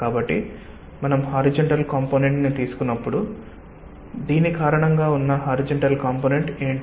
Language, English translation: Telugu, so when we take the horizontal components, what is the horizontal component